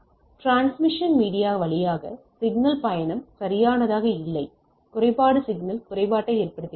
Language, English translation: Tamil, Signal travel through transmission media which are not perfect, the imperfection cause signal impairment right